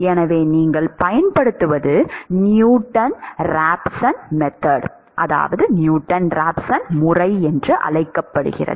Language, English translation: Tamil, So, what you use is called the Newton Raphson method